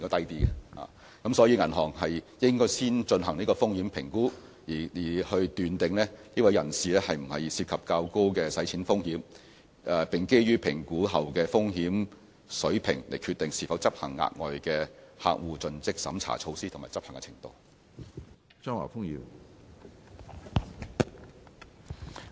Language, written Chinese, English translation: Cantonese, 因此，銀行應先進行風險評估，確定有關人士是否涉及較高的洗錢風險，並基於評估後的風險水平決定是否執行額外的客戶盡職審查措施和執行的程度。, Hence banks should conduct risk assessments to confirm whether the person concerned presents a higher risk of money laundering . After assessing the risk level involved banks should decide whether additional CDD measures should be conducted and the degree to which the measure should be implemented